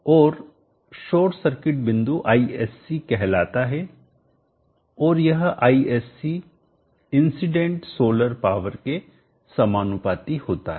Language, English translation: Hindi, And the short circuit point is called Isc and this Isc is proportional to the incident solar power